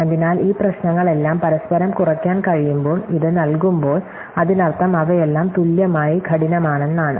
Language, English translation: Malayalam, So, given this when all these problems are inter reduce able, it means all of them are equally hard